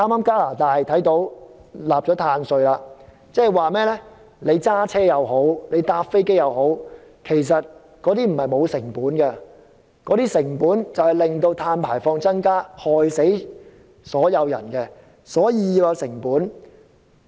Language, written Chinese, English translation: Cantonese, 加拿大剛訂立了碳稅，即是說不論駕車或搭飛機，不是沒有成本的，其成本就是導致碳排放量增加，會害死所有人，所以要計算成本。, Canada has recently imposed the carbon tax . It means that there is a cost for travelling by car or by plane . The cost is an increase in carbon emission and it will harm everyone and that is why the cost must be taken into account